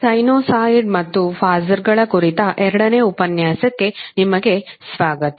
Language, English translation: Kannada, So, wake up to the second lecture on sinusoid and phasers